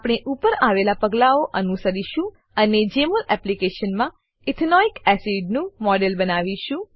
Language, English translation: Gujarati, We will follow the above steps and create the model of Ethanoic acid in Jmol application